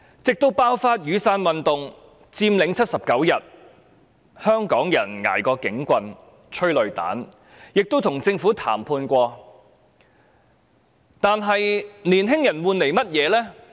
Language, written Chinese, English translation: Cantonese, 直至雨傘運動爆發、79天的佔領，香港人捱過了警棍和催淚彈，亦曾與政府談判，但青年人換來了甚麼呢？, It was during the outbreak of the Umbrella Movement and the 79 - day Occupy movement that Hong Kong people were hit by police batons and tear gas canisters and had negotiated with the Government . But what did young people get in return?